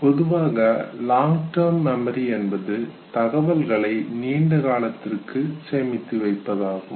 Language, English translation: Tamil, Long term memory basically refers to the fact that the information is stored for a very, very long period of time